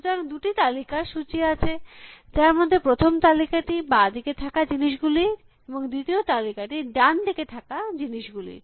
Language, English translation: Bengali, So, a list of two lists, the first list contains things which are on the left bank and the second list contains things which are on the right bank